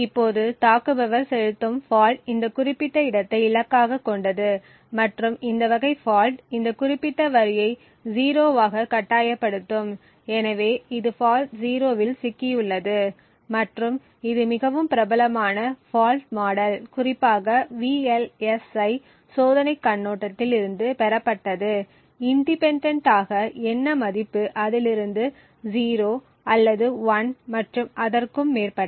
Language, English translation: Tamil, Now the fault the attacker would inject is targeted to this specific location and the fault is very specific, this type of fault would force this particular line to be 0, so this is known as Stuck at 0 fault and this is a very popular fault model especially from the VLSI testing perspective, so independent of what value was present whether it was 0 or 1 or so on, this fault would force this line to 0, as a result what we would see in the output is this value C hash 0 would always have the value of K0